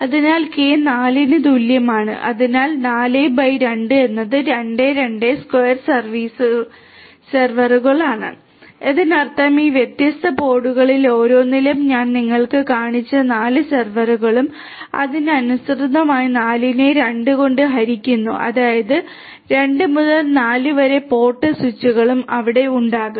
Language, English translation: Malayalam, So, k equal to 4 so, 4 by 2 is 2, 2 square servers; that means, the 4 servers that I had shown you at each of these different pods and correspondingly there are going to be 4 divided by 2; that means, 2 to 4 port switches are going to be there